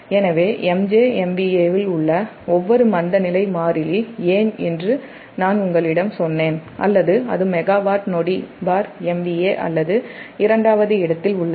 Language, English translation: Tamil, so so your thats why each inertia constant in mega joule m v a, i told you it will, or it is megawatt second per m v a or it is second